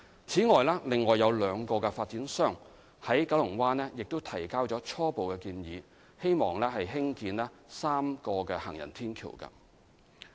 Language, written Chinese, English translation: Cantonese, 此外，另有兩個發展商在九龍灣提交了初步建議，擬議興建3道行人天橋。, Besides two other developers in Kowloon Bay have submitted preliminary proposals for constructing three footbridges